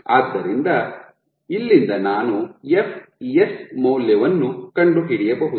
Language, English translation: Kannada, So, from here I can find out the value of fs